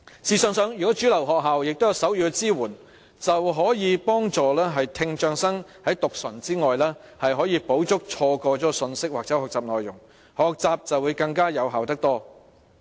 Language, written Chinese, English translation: Cantonese, 試想想，如果主流學校都有手語的支援，便可以幫助聽障生在讀唇外，補足錯過了的信息或學習內容，令學習更為有效。, Just think about that if sign language support is given to mainstream schools it will not only help students with hearing impairment in lip - reading it will also make up for the message or learning contents they have missed thereby making the learning more effective